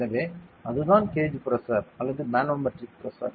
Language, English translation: Tamil, So, that is what a gauge pressure or manometric pressure is